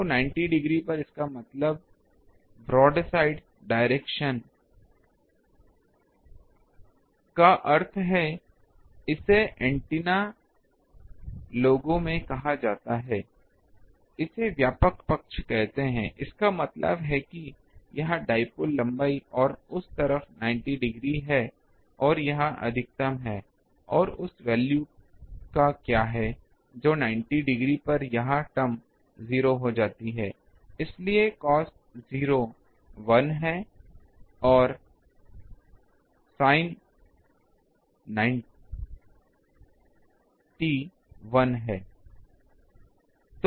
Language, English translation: Hindi, So, at 90 degree means brought side direction this is called in antenna people call it, brought side; that means, this is the dipole length and brought side to that 90 degree to the this is a maximum and what is the value of that put that this term at 90 degree become 0 so, cos 0 is 1 and this is sin 91